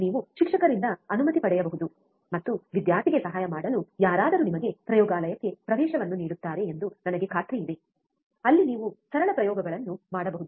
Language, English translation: Kannada, You can take permission from a teacher, and I am sure that anyone who is there to help student will give you an access to the laboratory where you can do the simple experiments, right